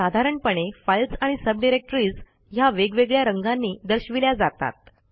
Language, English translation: Marathi, Files and subdirectories are generally shown with different colours